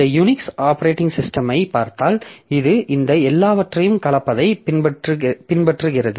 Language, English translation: Tamil, So, if you look into this Unix operating system, so it follows a mix up of all these things